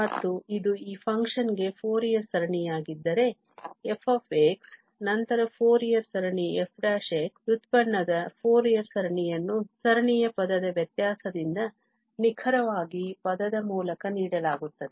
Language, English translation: Kannada, And, if this is the Fourier series now for this function f x then the Fourier series of f prime; the Fourier series of the derivative will be given exactly by term by term differentiation of the series